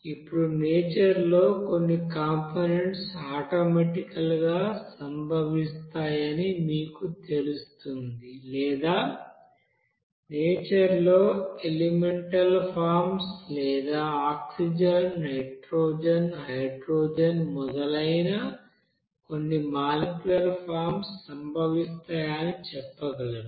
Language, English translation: Telugu, Now in the nature you will see that some components will be you know occurring automatically or you can say that just in nature in an you know elemental forms or some molecular forms like that oxygen, nitrogen, hydrogen etc